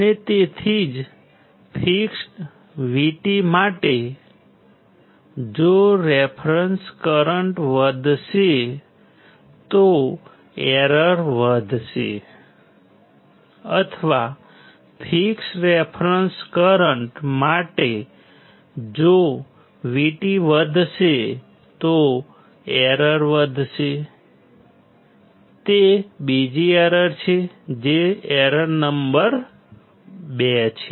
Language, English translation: Gujarati, And that is why for a fixed V T if reference current increases, error increases or for fixed reference current if V T increases error increases, that is the second error that is the error number 2